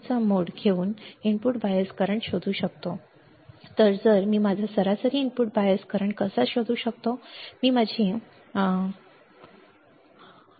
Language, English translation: Marathi, So, this is how I can find my average input bias current; that is how can I find my average input bias current, all right